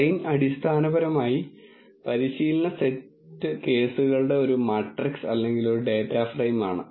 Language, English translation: Malayalam, Train is essentially a matrix or a data frame of the training set cases